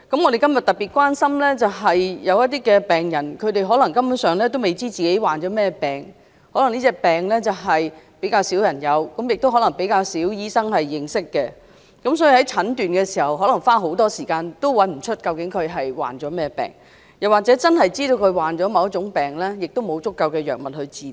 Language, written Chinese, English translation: Cantonese, 我們今天特別關心的是，有一些根本不知道自己患甚麼病的病人，可能這種疾病比較罕見，亦可能比較少醫生認識，所以可能花很長時間診斷也找不到患甚麼疾病，即使知道患某種病，也沒有足夠藥物治療。, Today we focus our attention specially on patients who do not know the disease they have contracted possibly because the disease is rare or not many doctors know about it . These patients may not be able to find out the disease despite the fact that they have spent a long time on the diagnosis . Even if they manage to obtain a diagnosis there are inadequate choices of drugs for treatment